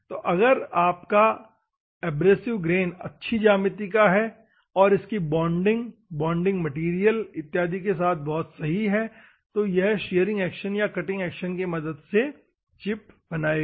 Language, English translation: Hindi, So, abrasive grain if it is good geometry and it has a proper bonding with a bonding material and other things, normally it will lead to you a shearing action or cutting action to make a chip